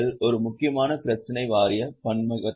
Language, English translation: Tamil, One important issue is board diversity